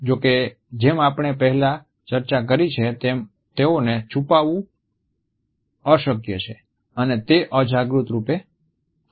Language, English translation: Gujarati, However, as we have discussed earlier it is perhaps impossible to conceal them and they occur in an unconscious manner